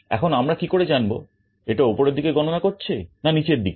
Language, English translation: Bengali, And how we decide whether it is going to count up or down